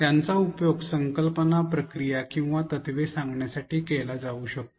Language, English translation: Marathi, They can be used to convey concepts, processes or principles